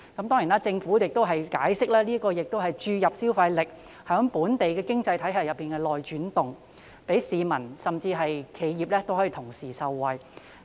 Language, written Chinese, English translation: Cantonese, 當然，政府亦解釋目的是注入消費力在本地經濟體系內流轉，讓市民以至企業同時受惠。, Certainly the Government also explained that the purpose of this measure is to stimulate consumption in the local economy so as to benefit both members of the public and enterprises